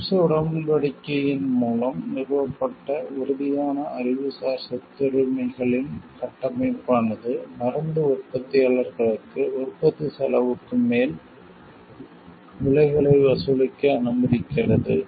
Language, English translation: Tamil, The framework of the rigid Intellectual Property Rights established by the TRIPS agreement allows pharmaceutical manufacturers to charge prices above marginal cost of production